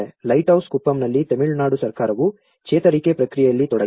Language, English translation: Kannada, In Lighthouse Kuppam, Tamil Nadu Government is involved in it in the recovery process